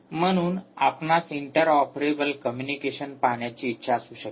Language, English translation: Marathi, therefore, you may want to look at inter inter ah operable communication